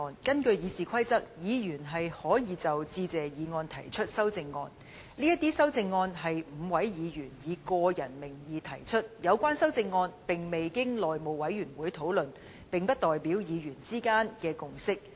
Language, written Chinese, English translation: Cantonese, 根據《議事規則》，議員可就致謝議案提出修正案，這些修正案是5位議員以個人名義提出的，未經內務委員會討論，並不代表議員之間的共識。, Under the Rules of Procedure Members can propose amendments to the Motion of Thanks . These amendments are proposed by the five Members in their personal capacity and have not been discussed by the House Committee . They thus do not represent a consensus among Members